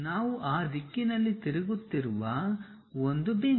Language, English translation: Kannada, A point we are rotating in that direction